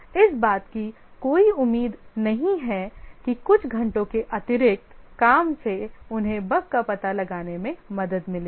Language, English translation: Hindi, There is no expectancy that a few hours of additional work will help them detect the bug